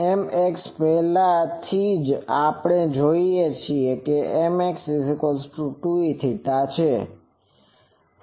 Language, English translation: Gujarati, So, and M x already we know a M x value is 2 E 0